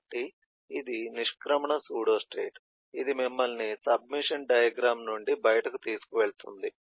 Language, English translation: Telugu, so this is eh the exit pseudostate which takes you out of the submission diagram